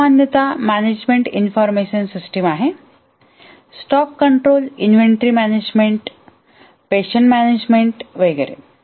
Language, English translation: Marathi, These are typically management information system, stock control, inventory management, patient management, etc